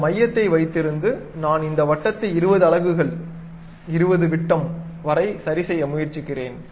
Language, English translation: Tamil, So, keep that center, I am going to adjust this circle to 20 units 20 diameters